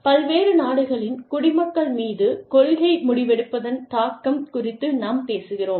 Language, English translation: Tamil, We are talking about, impact of policy decision making on nationals, of different countries